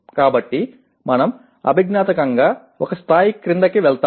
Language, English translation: Telugu, So we go cognitively one level lower